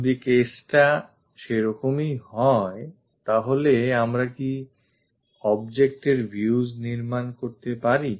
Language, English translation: Bengali, If that is the case can we construct views of the object